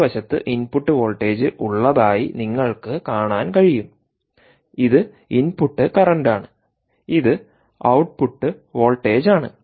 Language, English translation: Malayalam, ah, you can see that again, on the extreme left is the input voltage, that this is a input current, this is the output voltage and that is output current meter